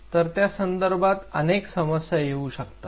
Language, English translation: Marathi, So, there are several problems